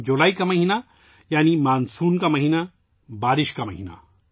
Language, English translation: Urdu, The month of July means the month of monsoon, the month of rain